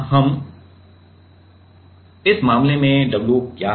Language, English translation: Hindi, So now, in this case what is the w